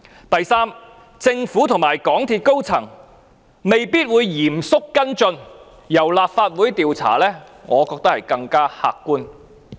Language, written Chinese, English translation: Cantonese, 第三，政府和港鐵公司高層未必會嚴肅跟進，但由立法會進行調查，我認為更為客觀。, Third the Government and the senior management of MTRCL may not follow up these incidents seriously whereas the conduct of an investigation by the Legislative Council is I think more objective